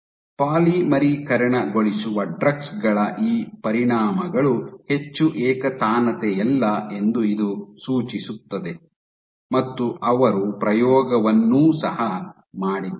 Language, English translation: Kannada, So, this suggests that these effects of polymerizing drugs are highly non monotonic, they also did experiment ok